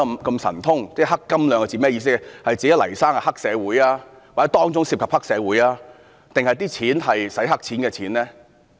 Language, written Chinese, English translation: Cantonese, 究竟是指黎先生是黑社會、當中涉及黑社會或當中涉及"洗黑錢"呢？, Does it mean that Mr Jimmy LAI is a triad member the incident involves the triad or it involves money laundry?